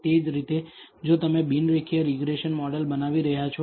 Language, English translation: Gujarati, Similarly, if you are building a non linear regression model